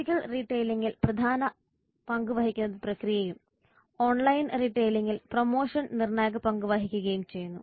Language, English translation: Malayalam, Process play important role in physical retail and promotion plays crucial role in online retailing